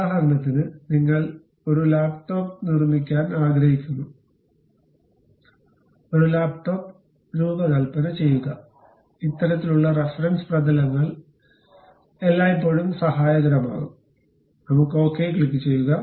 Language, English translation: Malayalam, For example, you want to make a laptop, design a laptop; then this kind of reference planes always be helpful, let us click ok